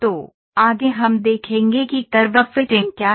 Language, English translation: Hindi, So, next we will see what is curve fitting